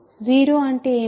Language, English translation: Telugu, What is 0